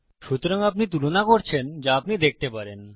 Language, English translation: Bengali, So, youre comparing what you cant see